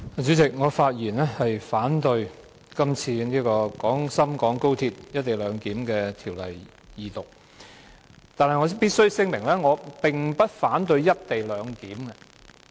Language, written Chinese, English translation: Cantonese, 主席，我發言反對《廣深港高鐵條例草案》二讀，但我必須聲明我並不反對"一地兩檢"。, President I rise to speak against the Second Reading of the Guangzhou - Shenzhen - Hong Kong Express Rail Link Co - location Bill but I must make it clear that I do not oppose the co - location arrangement